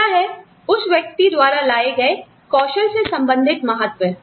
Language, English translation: Hindi, The other is, the relative importance of the skill set, the person brings